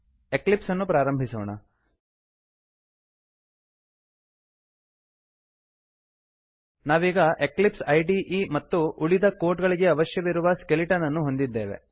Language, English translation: Kannada, Switch to Eclipse Here we have the Eclipse IDE and the skeleton required for the rest of the code